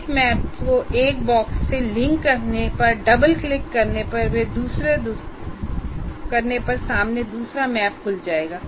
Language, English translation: Hindi, You can by linking one map to the one box, by double clicking the other map will open up in front